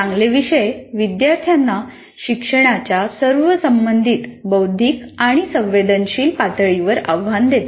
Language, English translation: Marathi, Good courses challenge students to all the relevant cognitive and affective levels of learning